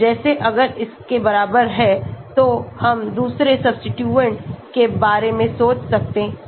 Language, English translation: Hindi, like if its equal then we can think about the other substituents